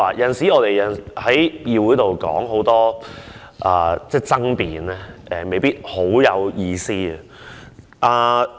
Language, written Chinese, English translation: Cantonese, 有時候，我們在議會爭辯未必十分有意思。, Sometimes it may not be very meaningful to argue in this Council